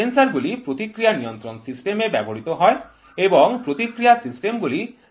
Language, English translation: Bengali, Sensors are used in feedback systems and feedback systems are used in sensors